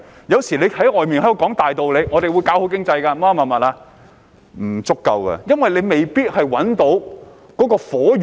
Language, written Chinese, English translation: Cantonese, 有時候政府說很多大道理，說會做好經濟之類的言論，但其實是不足夠的，因為未必可以找到"火源"。, The Government sometimes puts forth a lot of broad principles saying that it will build a good economy and so on . Yet this is actually not enough since they may not manage to identify the source of the fire